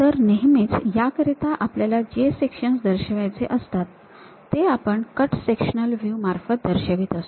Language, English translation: Marathi, So, usually we represent which section we are representing for this cut sectional view